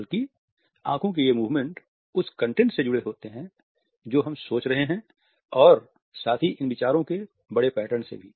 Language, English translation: Hindi, Rather these eye movements are correlated with the content we are thinking of as well as the larger pattern of these thoughts